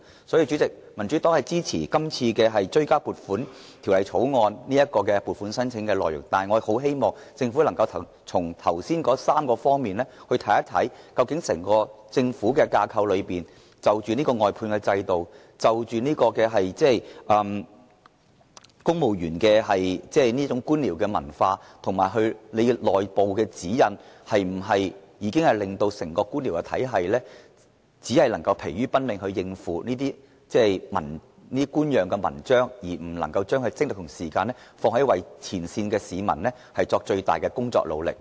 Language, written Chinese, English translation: Cantonese, 主席，民主黨支持這項《追加撥款條例草案》的撥款申請內容，但我很希望政府從上述3方面看整個政府架構，檢討外判制度、公務員的官僚文化和內部指引是否令整個官僚體系疲於奔命應付這些官樣文章，而不能把精力和時間放在前線市民身上，作出最大努力。, President the Democratic Party supports the appropriation set out in the Bill . However I very much hope that the Government can examine the entire government structure from the aforesaid three aspects namely studying the outsourcing system the bureaucratic culture of civil servants and whether the internal guidelines are to blame for the entire bureaucracy to be constantly on the run rather than focusing all of its energy and time on the public at the front line and doing their best